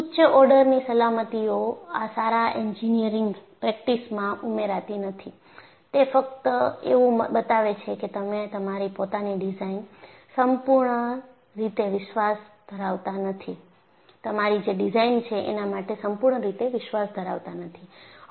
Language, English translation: Gujarati, So, having a higher order safety does not add togood engineering practice; it only shows you are not completely confident about your own design